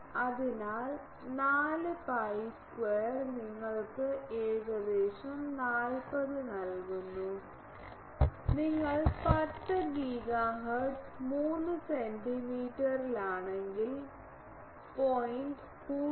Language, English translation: Malayalam, So, 4 pi square gives you 40 roughly and if you are at 10 gigahertz 3 centimetre means 0